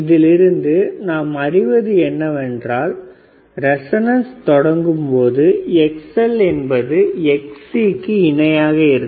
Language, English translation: Tamil, So, what it says is that, when the once the resonance condition occurs, right the xXll will be equal to xXc